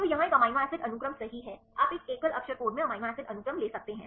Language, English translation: Hindi, So, here this amino acid sequence right you can take the amino acid sequence in a single letter code